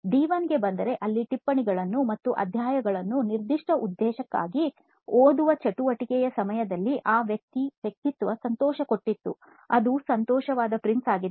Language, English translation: Kannada, Now coming to D1 that is during the activity reading the notes and chapters for that particular purpose, so that is happy for this persona, that is a happy Prince here